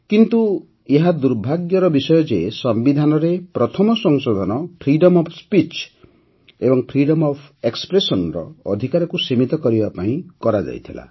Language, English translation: Odia, But this too has been a misfortune that the Constitution's first Amendment pertained to curtailing the Freedom of Speech and Freedom of Expression